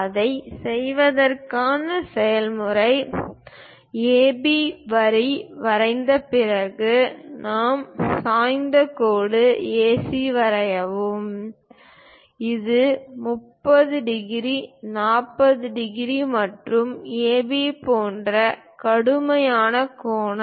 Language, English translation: Tamil, To do that, the procedure is after drawing line AB, draw a inclined line AC; this is the line, perhaps an acute angle like 30 degrees, 40 degrees, and so on to AB